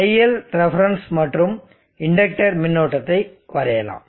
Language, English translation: Tamil, Let us plot the iLref the inductor current and we will see